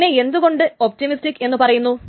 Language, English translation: Malayalam, Why it is called optimistic